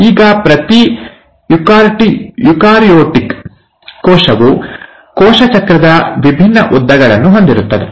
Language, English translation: Kannada, Now each eukaryotic cell will have obviously different lengths of cell cycle